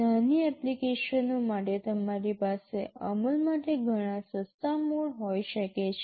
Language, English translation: Gujarati, For small applications, you can have much cheaper mode of implementation